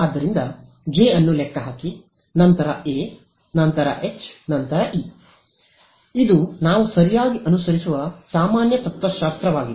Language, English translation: Kannada, So, calculate J then A then H and E that is the general philosophy that we follow right